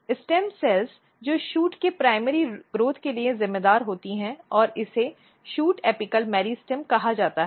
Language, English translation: Hindi, Stem cells which is responsible for primary growth of the shoot and this is called shoot apical meristem